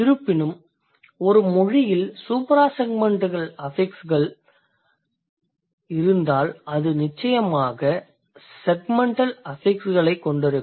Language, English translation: Tamil, However, if a language has suprasegmental affixes, then it will shortly have segmental affixes also